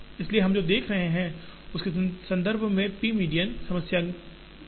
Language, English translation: Hindi, So, that is the relevance of the p median problem in the context of, what we are looking at